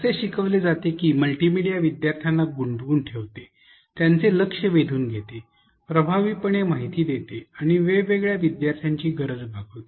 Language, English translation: Marathi, It is taught that multimedia engages learners, captures their attention, conveys information effectively and also caters to different learners needs